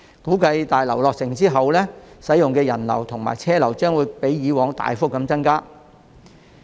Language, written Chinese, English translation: Cantonese, 估計在大樓落成後，使用口岸的人流和車流均會較以往大幅增加。, Upon the commissioning of the passenger terminal building the number of people and vehicles using the Huanggang Port are also expected to significantly increase